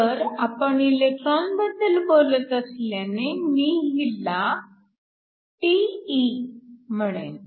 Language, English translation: Marathi, So, since we are dealing electrons, I will call this τe